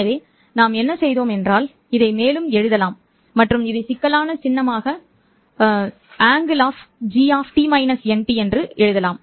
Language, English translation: Tamil, So what we have done is that we can further write this one and call this as the complex symbol A